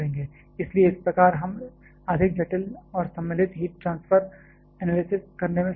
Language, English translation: Hindi, So, thereby we shall be able to do a more complicated and involved heat transfer analysis